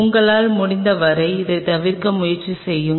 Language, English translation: Tamil, Try to avoid this as much as you can